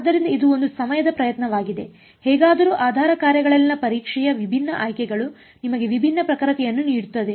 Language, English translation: Kannada, So, it is a onetime effort anyways different choices of the testing in the basis functions give you different accuracy ok